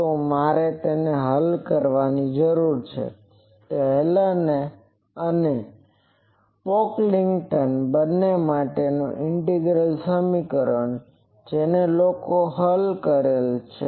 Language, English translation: Gujarati, So, I need to solve it; so this integral equation for both Hallen’s and Pocklington’s, people have solved